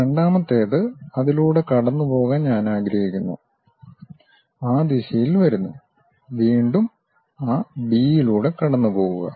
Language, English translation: Malayalam, The second one I would like to pass through that, comes in that direction, again pass through that B